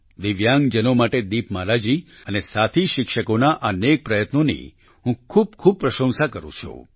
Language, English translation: Gujarati, I deeply appreciate this noble effort of Deepmala ji and her fellow teachers for the sake of Divyangjans